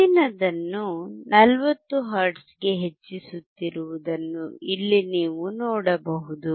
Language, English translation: Kannada, Here you can see the next one is increasing to 40 hertz